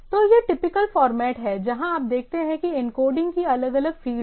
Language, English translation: Hindi, So, this is the typical format where you see that is encoded these are the different fields